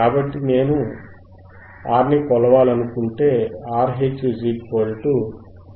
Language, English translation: Telugu, So, here if I want to measure R, RH equals to 1 upon 2 pi fH CC,